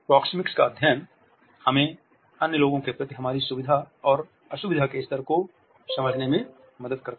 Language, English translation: Hindi, The study Proxemics helps us to understand the level of comfort and discomfort, which we have towards other people